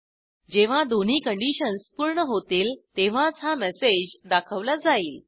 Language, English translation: Marathi, And as both the conditions are satisfied, it displays the message